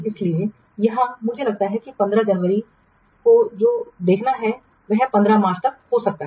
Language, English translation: Hindi, So that means January 15 to it will take what may be February 15 or so